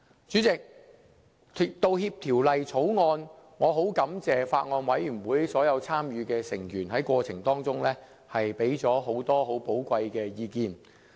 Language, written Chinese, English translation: Cantonese, 主席，就《條例草案》，我十分感謝法案委員會所有參與的成員在過程中，提供很多很寶貴的意見。, President I am very grateful to all those Bills Committee members who participated in the scrutiny of the Bill for their valuable opinions